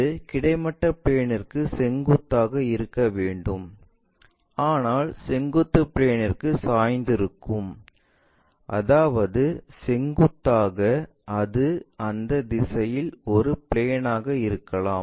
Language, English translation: Tamil, It is supposed to be perpendicular to horizontal plane, but inclined to vertical plane that means, perpendicular, it can be a plane in that direction